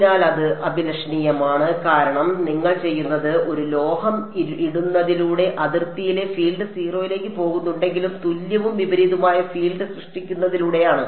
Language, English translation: Malayalam, So, it is undesirable because by putting a metal what you doing, even though the field at the boundary is going to 0 the way does it is by generating an equal and opposite field